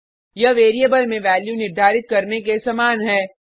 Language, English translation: Hindi, It is like assigning a value to a variable